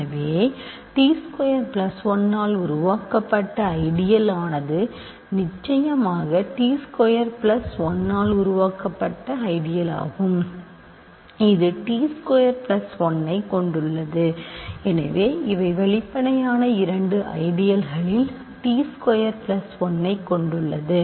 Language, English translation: Tamil, So, the ideal generated by t squared plus 1 is of course, ideal the generated by t squared plus 1 this contains t squared plus 1 this of course, contain t squared plus 1